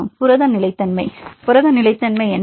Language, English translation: Tamil, Protein stability; what is the protein stability